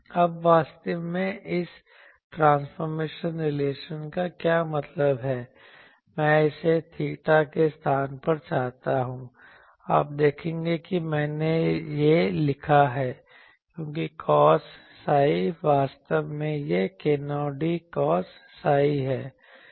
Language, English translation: Hindi, Now, what is actually this is the transformation relation that means, I want it in place of theta u, you see I have written these, because cos psi actually it is k 0 sorry k 0 d cos psi